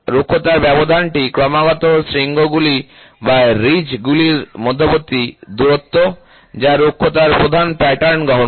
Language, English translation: Bengali, Roughness spacing is the distance between successive peaks or ridges that constitute the predominant pattern of roughness